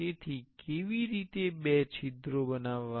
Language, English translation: Gujarati, So, how to make two holes